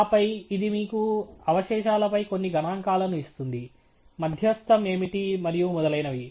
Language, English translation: Telugu, And then, it gives you some statistics on residuals, what is the median and so on